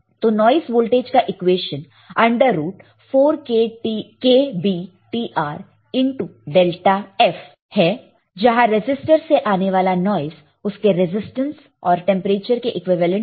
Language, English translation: Hindi, So, noise voltage is equal to under root of 4 k B T R into delta F, where the noise from a resistor is proportional to its resistance and the temperature